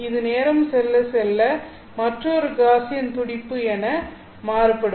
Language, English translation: Tamil, Only in time they are changing as a Gaussian pulse